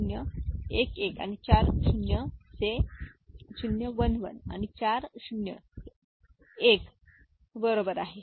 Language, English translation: Marathi, So, 0 1 1 and four 0s, 0 1 1 and four 0s, this is the one, right